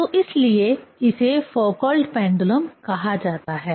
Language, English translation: Hindi, So, that is why this is called Foucault pendulum